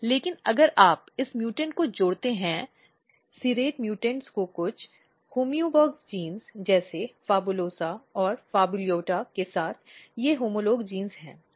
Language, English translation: Hindi, But what happens that if you combine this mutant, serrate mutant with some of the homeobox genes like PHABULOSA and PHABULOTA , these are the homolog genes